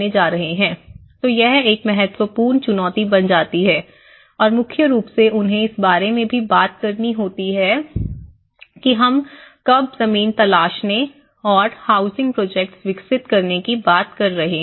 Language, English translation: Hindi, So this becomes one of the important challenge and mainly they also have to talk about when we are talking about finding a land and developing a housing project